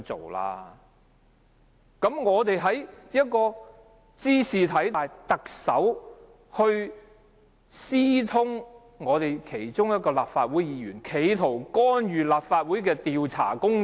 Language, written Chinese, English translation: Cantonese, 這件事茲事體大，特首私通一名立法會議員，企圖干預立法會的調查工作。, High stakes are involved in this matter . The Chief Executive conspired with a Member of the Legislative Council in an attempt to interfere with the inquiry of the Legislative Council